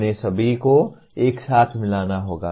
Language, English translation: Hindi, They will all have to be integrated together